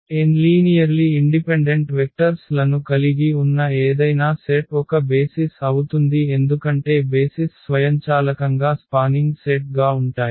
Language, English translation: Telugu, So, any set which has n linearly independent vectors that will be a basis because for the for the basis these will automatically will be the spanning set